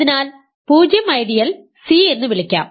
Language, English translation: Malayalam, They are 0 ideal this corresponds to